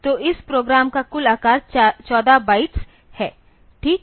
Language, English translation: Hindi, So, total size of this program is 14 bytes fine